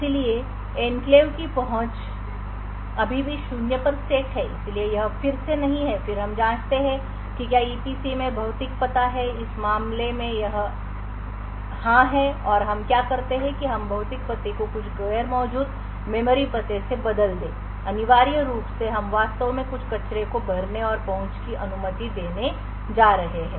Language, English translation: Hindi, so enclave access is set still set to zero so it is no again and then we check whether the physical address is in the EPC in this case it is yes and what we do is that we replace the physical address with some non existent memory address essentially we are going to actually fill in some garbage and permit the access